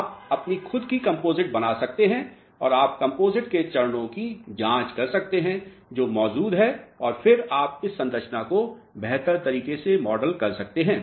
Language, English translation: Hindi, You can fabricate your own composites and you can check the phases of the composites which are present and then you can model this structure in a better way